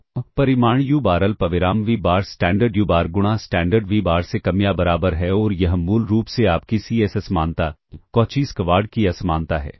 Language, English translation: Hindi, So, magnitude u bar comma v bar less than or equal to norm u bar times norm v bar and this is basically your c s inequality a Cauchy Schwarz inequality ok